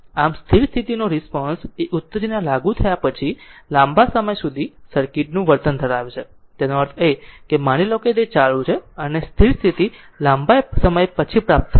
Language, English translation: Gujarati, Thus, the steady state steady state response is the behavior of the circuit a long time after an excitation is applied, that means you that your voltage source suppose it is switched on, and and your steady state will achieved after long time right